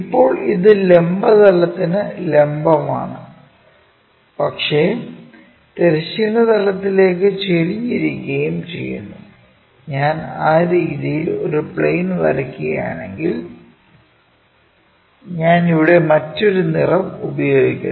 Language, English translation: Malayalam, Now, it is perpendicular to vertical plane, but inclined to horizontal plane; that means, if I am drawing a plane in that way